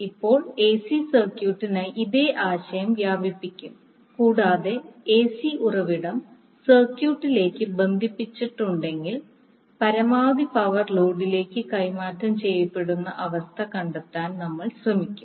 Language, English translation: Malayalam, Now the same concept will extend for the AC circuit and we will try to find out the condition under which the maximum power would be transferred to the load if AC source are connected to the circuit